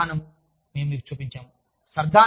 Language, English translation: Telugu, And, then this policy, we have shown you